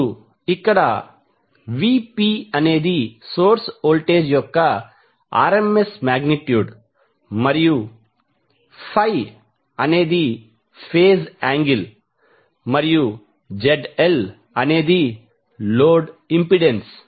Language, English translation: Telugu, Now, here VP is nothing but the RMS magnitude of the source voltage and phi is the phase angle and Zl is the load impedance